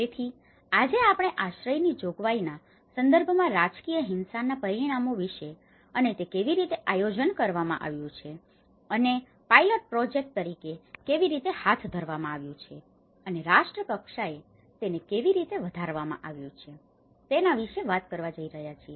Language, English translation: Gujarati, So, today we are going to talk about the consequences of the political violence at specially in terms of shelter provision and how it has been organized and how it has been conducted as a pilot project and how it has been scaled up at a nation level and what kind of responses they have you know able to understand